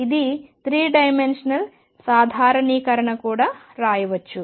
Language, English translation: Telugu, It is 3 dimensional generalization can also be written